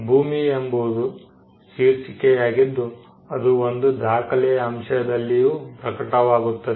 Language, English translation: Kannada, Land is also the title in a land also manifest itself in a piece of a document